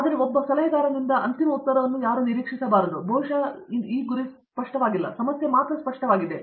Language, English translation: Kannada, So, do not expect a final answer from an adviser, it is the probably the goal is also not very clear, only the problem is clear, right